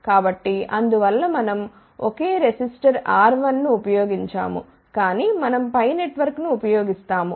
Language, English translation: Telugu, So, that is why we do not use a single resistor R 1, but we use a pi network